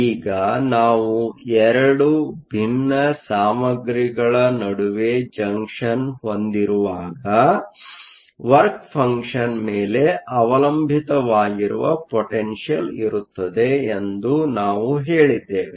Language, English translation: Kannada, Now, whenever we have a junction between 2 dissimilar materials, we said that there will be potential which depends upon the work function